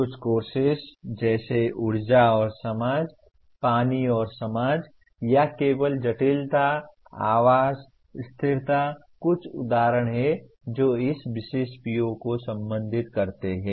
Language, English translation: Hindi, Some courses like energy and society, water and society or merely complexity, housing, sustainability are some examples that can address this particular PO